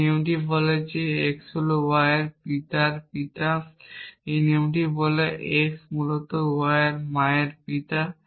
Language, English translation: Bengali, This rule says that x is a father of father of y, this rule says that x is a father of mother of y essentially